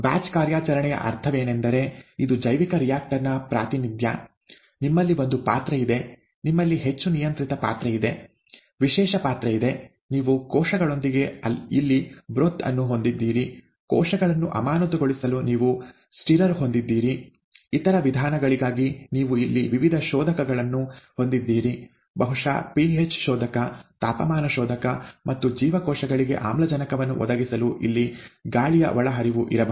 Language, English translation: Kannada, A batch operation just means that, this is the representation of a bioreactor, you have a vessel, you have a highly controlled vessel, specialized vessel, you have a broth here with cells, you have a stirrer to keep the cells in suspension, and for other means, you have various probes here, probably the hbo probe, temperature probe and may be an air inlet here to provide oxygen to the cells